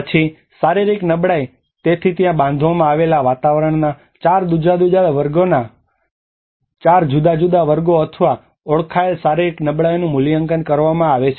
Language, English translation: Gujarati, Then the physical vulnerability so there is a for assessing the physical vulnerability 4 different classes of the built environment or identified